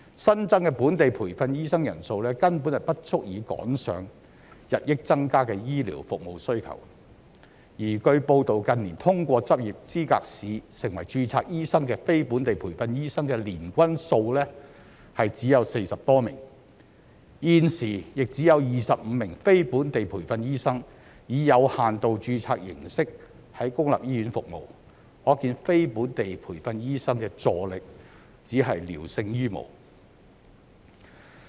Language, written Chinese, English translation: Cantonese, 新增的本地培訓醫生人數根本不足以趕上日益增加的醫療服務需求，而據報道近年通過執業資格試成為註冊醫生的非本地培訓醫生的年均數只有40多名，現時亦只有25名非本地培訓醫生以有限度註冊形式在公立醫院服務，可見非本地培訓醫生的助力只是聊勝於無。, New supply of locally trained doctors is simply inadequate to catch up with rising healthcare demand . It has been reported that in recent years the annual average number of non - locally trained doctors who have passed the Licensing Examination and become registered doctors is only some 40 and only 25 non - locally trained doctors are now serving at public hospitals under limited registration . It is thus clear that assistance provided by non - locally trained doctors is only better than nothing